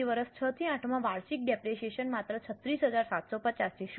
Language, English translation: Gujarati, So, in year 6 to 8 the annual depreciation is only 36,000 750